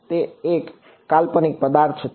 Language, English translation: Gujarati, It is a hypothetical object